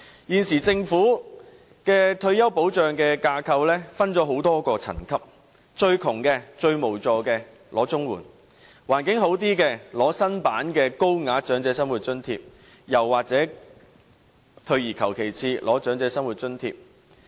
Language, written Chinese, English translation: Cantonese, 現時，政府的退休保障架構，分成多個層級，最窮、最無助的長者可領取綜援；經濟環境稍佳的長者，便可領取新版的高額長者生活津貼，或退而求其次領取長者生活津貼。, At present the Government divides the retirement protection framework into various tiers . For the elderly who are the poorest and most in need of help they can apply for Comprehensive Social Security Allowance . For elderly who are slightly better financially they may apply for Higher Old Age Living Allowance or settle for the lesser version the Old Age Living Allowance